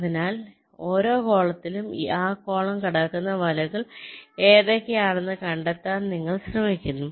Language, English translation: Malayalam, ok, so in this way, along every column you try to find out which are the nets which are crossing that column